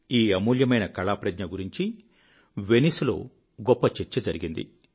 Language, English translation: Telugu, This invaluable artwork was a high point of discourse at Venice